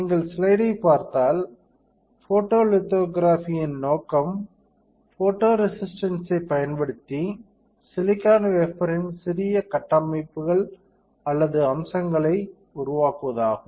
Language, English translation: Tamil, If you see the slide, the purpose of photolithography is to create small structures or features on a silicon wafer using photoresist, we have seen that right